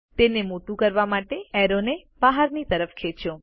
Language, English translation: Gujarati, To enlarge it, drag the arrow outward